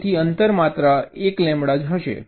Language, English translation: Gujarati, separation is one lambda